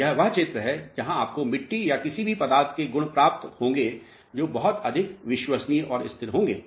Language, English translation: Hindi, And, this is the region where you will be getting the properties of the soil mass or any material which are going to be much more reliable and stable